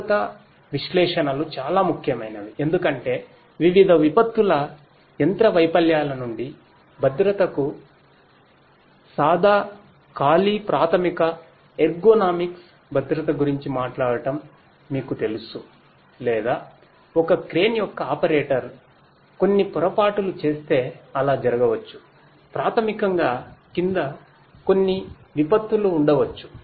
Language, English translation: Telugu, Safety analytics is very important because you know talking about plain bare basic ergonomics safety to safety from different disasters machine failures you know or consider something like you know if the operator of a crane you know makes certain mistake what might so happen is basically there might be some disasters you know underneath